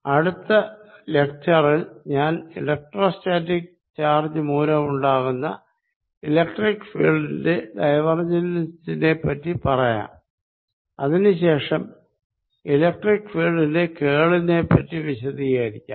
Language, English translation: Malayalam, In the next lecture I will talk about divergence of electric field due to electrostatic charges and then go on to describe the curl of the electric field